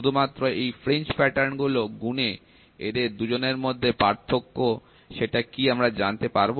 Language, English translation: Bengali, Just by counting the fringe patterns we can try to see what is the height difference between these two